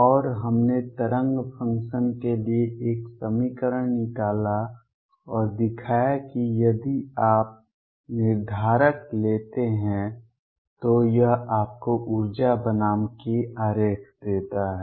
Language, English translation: Hindi, And we derived an equation for the wave function and showed that if you take the determinant it gives you the energy versus k diagram